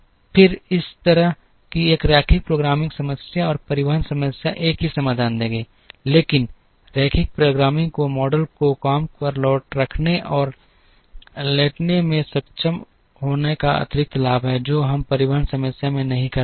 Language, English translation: Hindi, Then such a linear programming problem and the transportation problem will give the same solution, but linear programming has the additional advantage of being able to model hiring and lay off, which we would not be able to do in the transportation problem